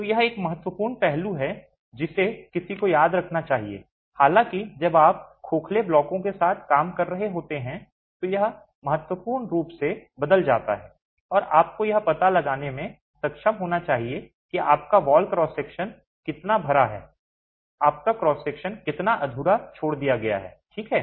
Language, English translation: Hindi, However, when you are dealing with hollow blocks, it would change significantly and you should be able to account for how much of your wall cross section is filled, how much of your cross section is left unfilled